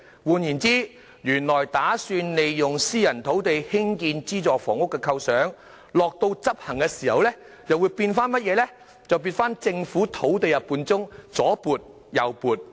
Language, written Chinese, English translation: Cantonese, 換言之，原本打算利用私人土地興建資助房屋的構想，在真正執行時又變成在政府土地中左撥右撥。, In other words the idea of using private land for building subsidized housing has turned into juggling sites among Government land sites in practice